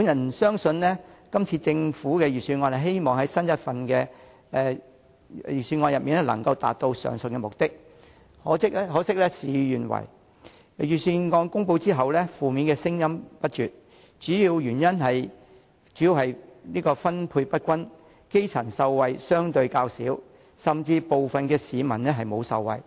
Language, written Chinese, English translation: Cantonese, 我相信雖然政府希望今年的預算案能夠達致上述目的，可惜事與願違，預算案公布後，負面聲音不絕，主要原因是分配不均以致基層受惠相對較少，部分市民甚至未能受惠。, Although the Government hopes that the Budget this year can achieve the aforementioned objectives things have unfortunately not turned out as it wished . After the announcement of the Budget incessant negative voices have been heard mainly because the grass roots enjoy comparatively less benefits due to uneven distribution with some members of the public receiving no benefit at all